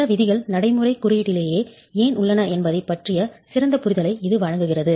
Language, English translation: Tamil, It gives you a better understanding of why certain provisions are the way they are in the code of practice itself